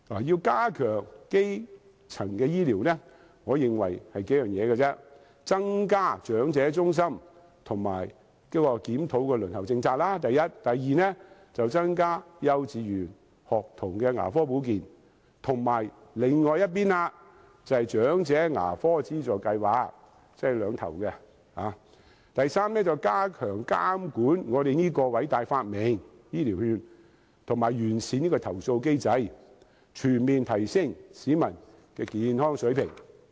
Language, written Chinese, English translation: Cantonese, 要加強基層醫療，我認為只有數點就是，第一；增加長者健康中心和檢討輪候政策；第二、增加幼稚園學童牙科保健，以及另一邊廂的，長者牙科資助計劃，即首尾兩個方向；第三、加強監管我們這個偉大發明——醫療券——完善其投訴機制；及最後，全面提升市民的健康水平。, In order to enhance primary health care services I consider that there are several things we should do . First; we should increase the number of EHCs and review the waiting policy; second we should strengthen School Dental Care Services for kindergarten children as well as the Elderly Dental Assistance Programme on the other end that is dental care for young and old; third strengthen the supervision of our great invention―health care voucher scheme―by improving the complaint mechanism; and lastly to comprehensively upgrade the level of public health